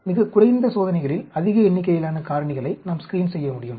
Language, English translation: Tamil, We can screen large number of factors in the very minimal experiments